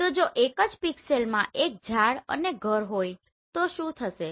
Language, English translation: Gujarati, So if one pixel is having a tree and a house together what will happen